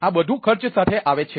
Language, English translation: Gujarati, all this comes with a cost